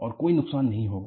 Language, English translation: Hindi, And, no harm will be done